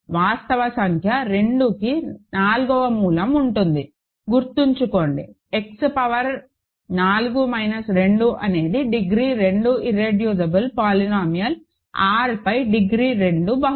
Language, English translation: Telugu, There will be a fourth root of 2 a real number; remember, X power 4 minus 2 is a degree 2 irreducible polynomial; degree 2 polynomial over R